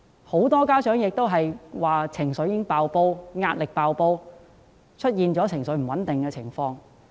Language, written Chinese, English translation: Cantonese, 很多家長均表示情緒和壓力"爆煲"，出現情緒不穩定的情況。, Many parents are emotionally unstable with pressure overwhelming to the verge of a breakdown